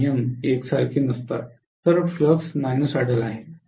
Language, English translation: Marathi, So the flux is non sinusoidal